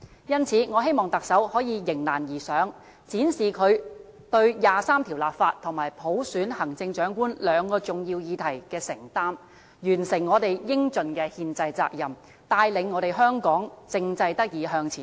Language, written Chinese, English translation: Cantonese, 因此，我希望特首可以迎難而上，展示她對第二十三條立法和普選行政長官兩個重要議題的承擔，完成我們應盡的憲制責任，帶領香港政制得以向前走。, I thus hope that the Chief Executive can embrace the challenge and demonstrate her commitment to these two important issues that is the legislation of Article 23 and the selection of the Chief Executive by universal suffrage . By so doing we can accomplish our constitutional responsibilities responsibilities that we should fulfil and lead Hong Kong to propel its political system forward